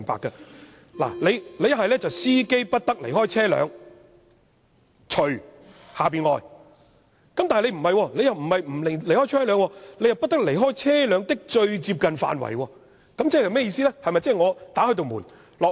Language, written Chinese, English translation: Cantonese, 如果內容是："司機不得離開車輛，除下面所列外"，但卻不是這樣寫，而是"不得離開車輛的最接近範圍"，這是甚麼意思呢？, It will be more comprehensible if it is rephrased as The driver must not leave the vehicle except under the following circumstances . What exactly does the description of must not leave the immediate vicinity of the vehicle mean?